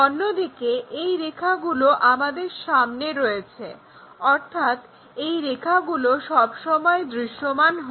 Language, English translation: Bengali, Whereas these lines are in front of us so, these lines are always be visible